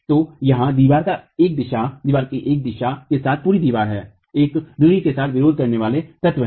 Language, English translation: Hindi, So, the wall here is the entire wall along one direction, along one of the axis